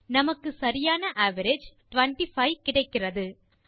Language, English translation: Tamil, We get the correct average, 25